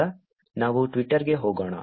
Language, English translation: Kannada, Now, let us go to Twitter